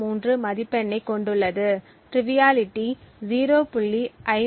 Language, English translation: Tamil, 03, the triviality has a score of 0